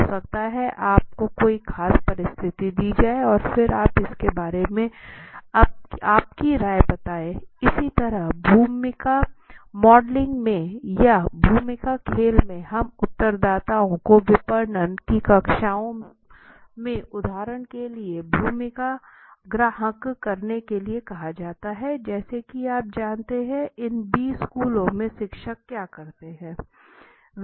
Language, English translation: Hindi, So maybe you are given a particular situation and then you are asked what is your opinion about it right similarly in role modeling or in role playing also we do the same respondents are asked to assume the role for example in marketing research classes are you know in these B schools what teachers do is